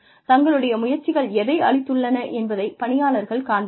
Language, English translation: Tamil, Employees like to see, how their efforts, what their efforts, have produced